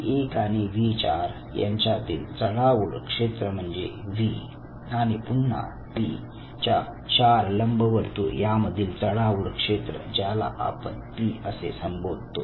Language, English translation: Marathi, So, the overlapping zone between V 1 to V 4 is V and again the overlapping zone of the four ellipse of P, the overlapping zone is P